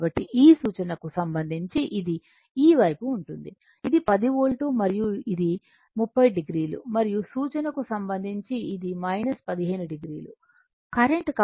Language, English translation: Telugu, So, with with respect to this reference it will be your this side this is my 10 volt and this is my 30 degree and with respect to reference, it is minus 15 degree current